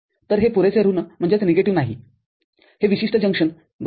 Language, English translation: Marathi, So, it is not sufficiently negative, this particular junction right